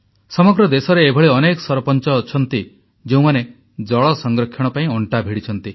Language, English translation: Odia, There are several Sarpanchs across the country who have taken the lead in water conservation